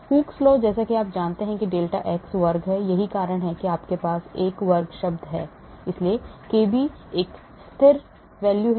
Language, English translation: Hindi, Hooke’s law as you know is delta x square, that is why you have a square term coming in, so kb is a constant